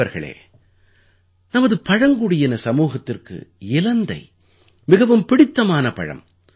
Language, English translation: Tamil, Friends, in our tribal communities, Ber fruit has always been very popular